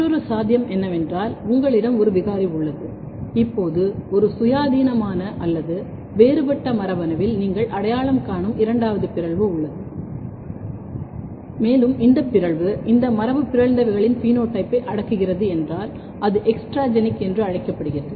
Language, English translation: Tamil, In another possibility is that you have a mutant, you have a phenotype now second mutation you identify in a totally independent or different gene and if this mutation is suppressing phenotype of this mutants then it is called extragenic